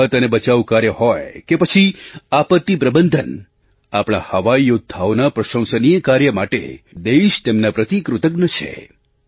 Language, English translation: Gujarati, Be it the relief and rescue work or disaster management, our country is indebted to our Air Force for the commendable efforts of our Air Warrior